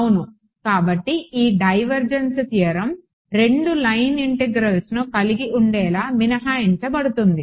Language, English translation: Telugu, Right, so this divergence theorem will get modified to exclude to have 2 line integrals